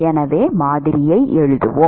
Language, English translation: Tamil, And so, we can write a model